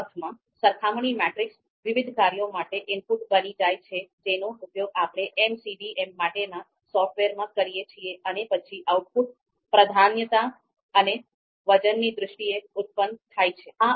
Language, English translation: Gujarati, So in that sense, comparison matrices become input for different functions that we use in software for MCDM and then output is produced in terms of you know priority in terms of you know priorities and weights